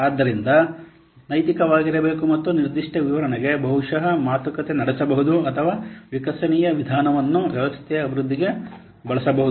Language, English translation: Kannada, So that what should be ethical and a detailed specification may be negotiated or an evolutionary approach may be used for the system development